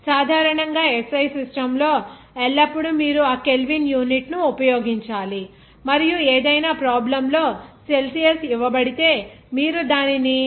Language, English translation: Telugu, Basically, in the SI system, always you have to use that Kelvin unit and if any problem is given in terms of Celsius, then you have to convert it to Kelvin just by adding to 273